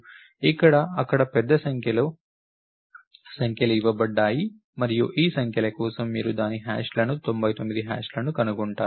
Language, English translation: Telugu, So, there is a large number of numbers that are given and for these numbers you find out what it hashes to, 99 it hashes to